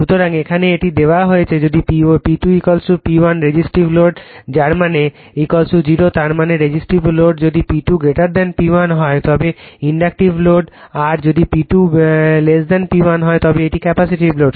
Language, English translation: Bengali, So, here it is given if P 2 is equal to P 1 Resistive load that mean theta is equal to 0 right , that mean resistive load if P 2 greater than P 1 it is Inductive load if P 2 less than P 1 it is capacitive load